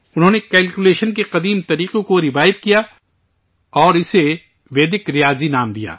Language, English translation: Urdu, He revived the ancient methods of calculation and named it Vedic Mathematics